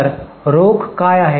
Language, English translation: Marathi, So what is the cash